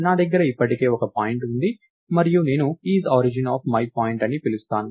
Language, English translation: Telugu, I have a point already in place and I call IsOrigin of myPt